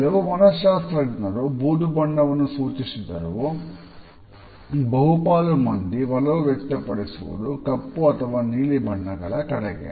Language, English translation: Kannada, Some psychologists have suggested gray also, but the majority is in favor of black or navy blue